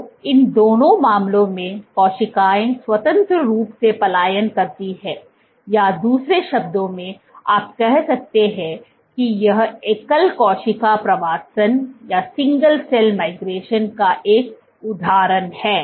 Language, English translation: Hindi, So, in both these cases, the cells migrate independently, or in other words you can say this is an example of single cell migration